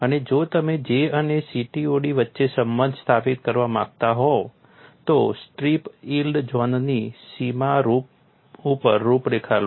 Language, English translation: Gujarati, If you want to establish the relationship between J and CTOD, take a contour along the boundary of the strip yield zone and the contour is shown here